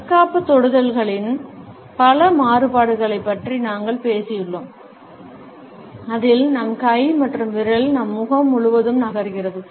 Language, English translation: Tamil, We have talked about several variations of the defensive touches, in which our hand and finger moves across our face